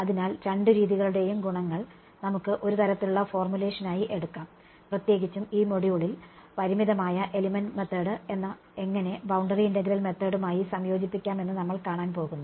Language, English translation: Malayalam, So, that we can take advantages of both methods into one sort of a formulation; in particular this module we are going to see how to integrate finite element method with boundary integral method